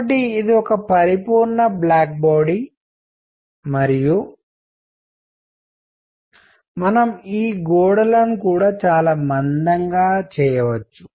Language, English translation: Telugu, So, that it is a perfect black body and we can also make the walls very thick